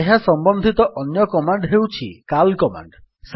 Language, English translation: Odia, Another related command is the cal command